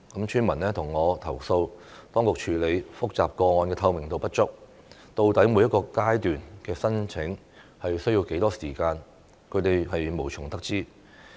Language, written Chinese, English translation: Cantonese, 村民向我投訴，當局處理複雜個案的透明度不足，究竟每一個階段的申請需要多少時間，他們無從得知。, Villagers have complained to me that there is a lack of transparency in the authorities handling of complex cases and they are kept in the dark about how much time is needed for an application in each phase